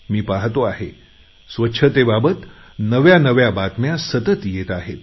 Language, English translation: Marathi, And I see clearly that the news about cleanliness keeps pouring in